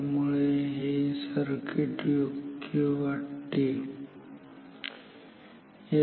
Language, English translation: Marathi, So, this circuit is good